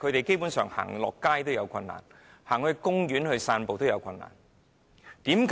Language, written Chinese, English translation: Cantonese, 基本上，他們離家到街上或到公園散步也有困難。, Basically they have difficulty leaving home to go outside or have a walk in the park